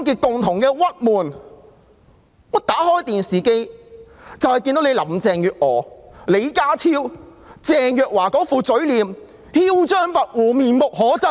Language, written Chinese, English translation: Cantonese, 打開電視，便看到林鄭月娥、李家超和鄭若驊那些囂張跋扈的嘴臉，面目可憎。, Whenever we switch on the television we will catch sight of the arrogant faces of Carrie LAM John LEE and Teresa CHENG